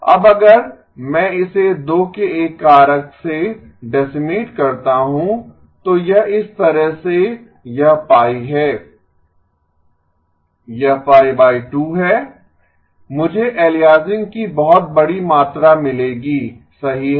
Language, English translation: Hindi, Now if I decimate this by a factor of 2, this is by the way this is pi, this is pi divided by 2, I will get huge amount of aliasing correct